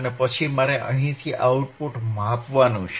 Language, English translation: Gujarati, And then I hadve to measure the output you from here